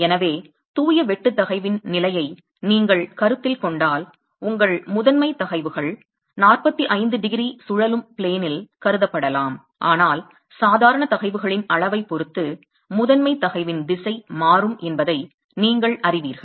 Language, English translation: Tamil, So if you consider a state of pure shear stress, then your principal stresses can be considered on a 45 degree rotated plane, but depending on the magnitude of the normal stresses, you know that the principal stress direction would change